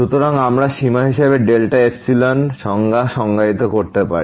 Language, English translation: Bengali, So, we can define delta epsilon definition as for the limit